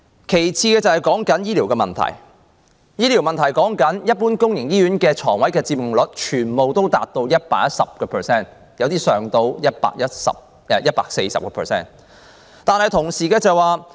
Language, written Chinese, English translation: Cantonese, 其次是醫療問題，一般公營醫院病床的佔用率全部達到 110%， 有些更高達 140%。, Another problem is health care . In general the occupancy rates of public hospitals have all reached 110 % with some as high as 140 %